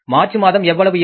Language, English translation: Tamil, March collections are going to be how much